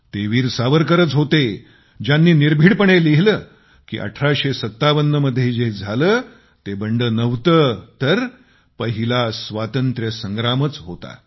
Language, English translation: Marathi, It was Veer Savarkar who boldly expostulated by writing that whatever happened in 1857 was not a revolt but was indeed the First War of Independence